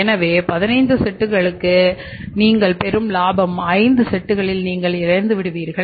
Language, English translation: Tamil, So, the profit you are getting from the 15 sets and profit you are losing the entire 50% you are losing on the 5 sets